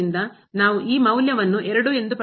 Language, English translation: Kannada, So, we will get here the value 2 ok